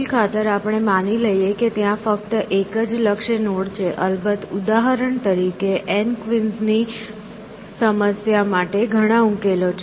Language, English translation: Gujarati, Let say for argument sake that there is only one goal node, in practice of course, for example, to the N queens problem, there are many solutions